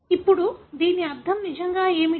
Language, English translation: Telugu, Now, what does it really mean